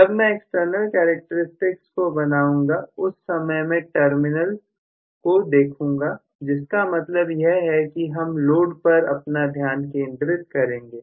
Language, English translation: Hindi, When I draw the external characteristics, I am going to look at the terminals basically so which means I will, I am more concerned about the load